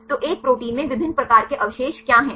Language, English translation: Hindi, So, what are different types of residues in a protein